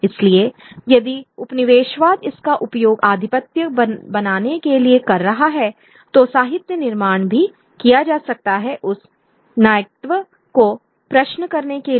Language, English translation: Hindi, So if colonialism is using it to create hegemony, literature can also be created to question that hegemony